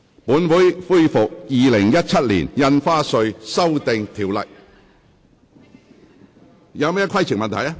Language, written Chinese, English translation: Cantonese, 本會恢復《2017年印花稅條例草案》的二讀辯論。, This Council will resume the Second Reading debate on the Stamp Duty Amendment Bill 2017